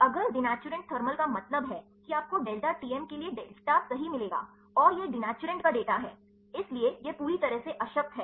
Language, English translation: Hindi, If denaturant thermal means you will get the data for the delta Tm right and, this is the data of the denaturant so, this why it is completely null